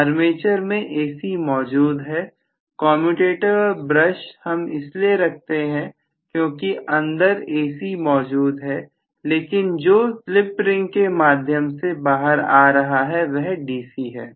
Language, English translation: Hindi, Armature you are having AC right commutator and brushes we put only because what we are having inside is AC what comes out is DC by the split ring